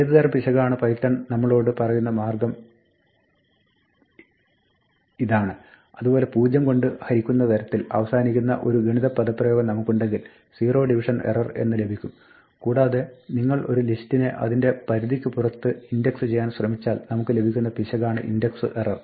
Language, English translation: Malayalam, This is python's way of telling us what type of error it is similarly, if we have an arithmetic expression where we end up dividing by a value 0 then, we will get something called a zero division error and finally, if you try to index a list outside its range then we get something called an index error